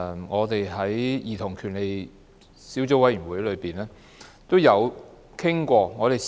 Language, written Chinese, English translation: Cantonese, 我們曾在兒童權利小組委員會討論過類似議案。, We have discussed a similar motion at the Subcommittee on Childrens Rights